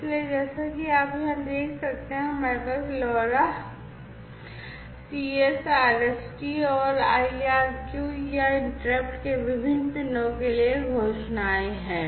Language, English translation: Hindi, So, as you can see over here we have these declarations for the different pins of LoRa CS RST and IRQ or interrupt, right